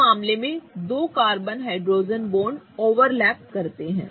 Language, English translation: Hindi, In this case the two carbon hydrogen bonds are overlapping